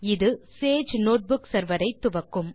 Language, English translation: Tamil, This will start the Sage Notebook server